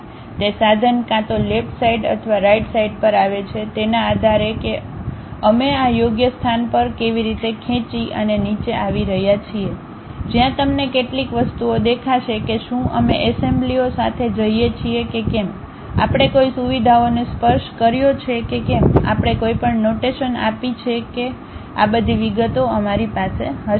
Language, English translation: Gujarati, That tool also comes either on the left side or right side based on how we are dragging and dropping at this suitable location, where you will see some of the things like whether we are going with assemblies, whether we have touched any features, whether we have given any annotation, all these details we will be having it